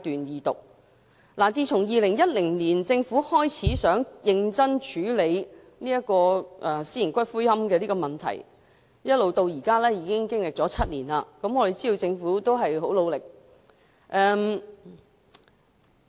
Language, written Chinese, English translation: Cantonese, 政府自2010年開始擬認真處理私營骨灰安置所的問題，至今已經7年，我們知道政府付出很大努力。, The Government has since 2010 started to seriously address the problems of private columbaria . We know that the Government has made a lot of effort in the past seven years